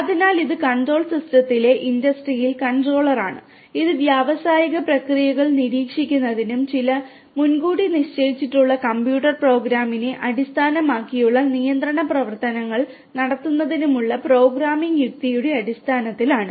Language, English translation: Malayalam, So, it is the industrial controller in control system and this is based on the programming logic of monitoring the monitoring the industrial processes and taking control actions based on certain predefined computer program ok